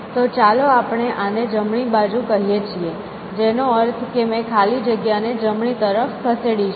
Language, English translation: Gujarati, So, let us say that we call this right, which means I have move the blank to the right